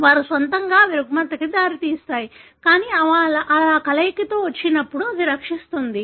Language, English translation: Telugu, On their own they result in disorder, but when they come in combination like this, it rescues